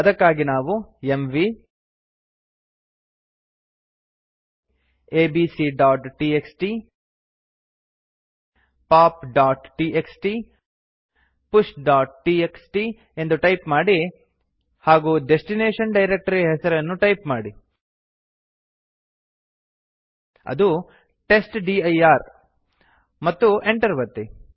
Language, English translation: Kannada, What we need to do is type mv abc.txt pop.txt push.txt and then the name of the destination folder which is testdir and press enter